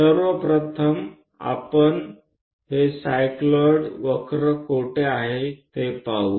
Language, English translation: Marathi, Where do we see this cycloid curves, first of all, we will ask